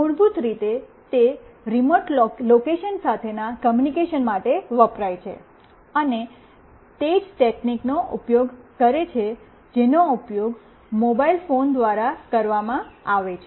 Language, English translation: Gujarati, It is basically used for communication with the remote location, and it uses the same technology as used by the mobile phones